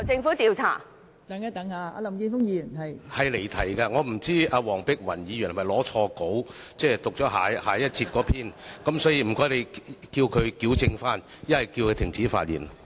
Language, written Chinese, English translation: Cantonese, 發言離題，我不知道黃碧雲議員是否拿錯了下一節辯論的發言稿，所以請你叫她矯正，否則叫她停止發言。, Her speech is irrelevant to the subject . I wonder whether Dr Helena WONG has mistakenly taken the script of her speech for the next debate session so will you please urge her to correct herself or stop speaking